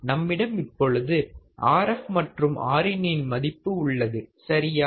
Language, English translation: Tamil, We have Rf value; we have Rin value right